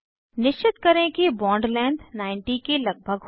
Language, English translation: Hindi, Ensure that Bond length is around 90